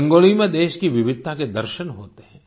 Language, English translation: Hindi, The diversity of our country is visible in Rangoli